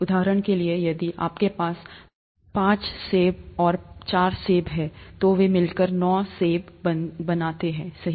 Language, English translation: Hindi, For example, if you have five apples and four apples, together they make nine apples, right